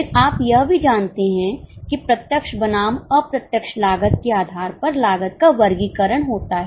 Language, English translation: Hindi, Then you also know there is a classification of cost based on direct versus indirect costs